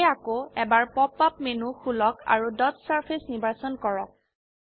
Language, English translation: Assamese, So, open the Pop up menu again, and choose Dot Surface